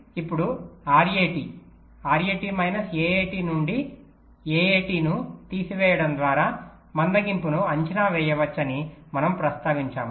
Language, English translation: Telugu, so now, ah, we are mentioned that we can estimate the slack by subtracting a a t from r a t r a t minus a a t